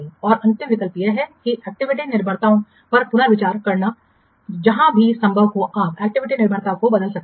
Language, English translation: Hindi, And the last option is that reconsidering the activity dependencies wherever possible you can change alter the activity dependencies